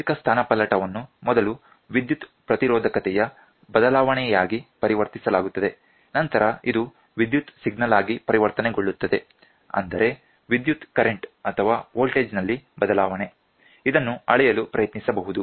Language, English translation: Kannada, The mechanical displacement is first converted into a change in the electric resistance which is then converted into an electrical signal, that is, change in the current or the voltage, it is done so, that you can try to measure it